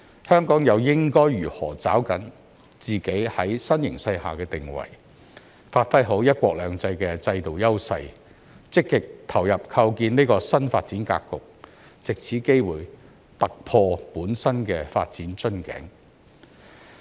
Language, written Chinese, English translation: Cantonese, 香港又應該如何抓緊在新形勢下的定位，發揮好"一國兩制"的制度優勢，積極投入構建這個新發展格局，藉這機會突破本身的發展瓶頸？, How should Hong Kong give play to our positioning in this new development leverage the unique advantages under one country two systems play an active part in establishing this new development pattern and take this opportunity to break our development bottleneck?